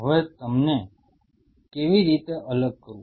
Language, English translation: Gujarati, Now how to separate them out